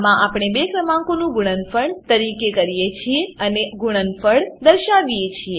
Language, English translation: Gujarati, In this we calculate the product of two numbers and display the product